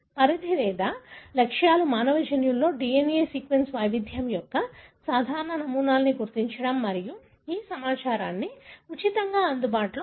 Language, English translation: Telugu, The scope is or the objectives are to determine the common patterns of DNA sequence variation in the human genome and to make this information freely available